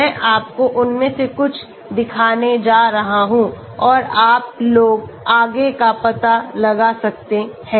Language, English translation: Hindi, I am going to show you couple of them and you guys can explore further